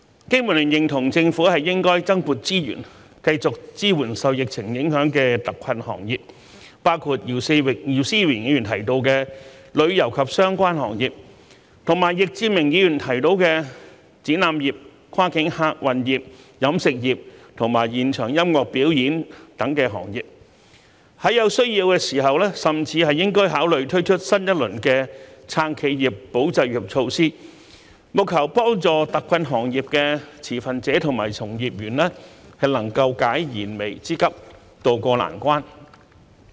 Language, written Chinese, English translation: Cantonese, 經民聯認同政府應增撥資源，繼續支援受疫情影響的特困行業，包括姚思榮議員提到的旅遊及相關行業，以及易志明議員提到的展覽業、跨境客運業、飲食業和現場音樂表演等行業，在有需要時甚至應考慮推出新一輪的"撐企業、保就業"措施，務求幫助特困行業的持份者及從業員能夠解燃眉之急，渡過難關。, The Business and Professionals Alliance for Hong Kong BPA agrees that the Government should allocate more resources to support the industries hard hit by the epidemic on an ongoing basis including tourism and related industries mentioned by Mr YIU Si - wing as well as such industries as the exhibition industry cross - boundary passenger service sector catering industry and live music performance mentioned by Mr Frankie YICK and even consider launching a new round of measures to support enterprises and safeguard jobs when necessary in order to meet the imminent needs of the stakeholders and employees of the hard - hit industries and help them tide over their difficulties